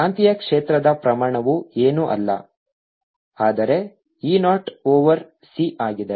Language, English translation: Kannada, the magnetic field magnitude is nothing but e, zero over c